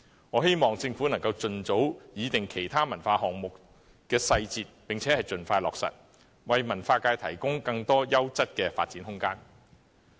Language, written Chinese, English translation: Cantonese, 我希望政府能盡早擬定其他文化項目的細節並盡快落實，為文化界提供更多優質的發展空間。, I hope the Government can work out the details of the other cultural projects as early as possible and implement them expeditiously thereby providing the cultural sector with more room for quality development